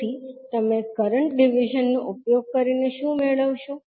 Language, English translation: Gujarati, So, what you get using current division